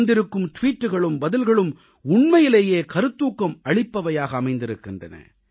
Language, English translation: Tamil, All tweets and responses received were really inspiring